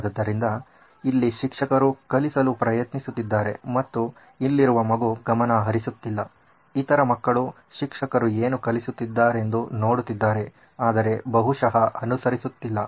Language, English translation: Kannada, So, here the teacher is trying to teach and the child here is not paying attention, may be the other children are looking at what the teacher is teaching but probably are not following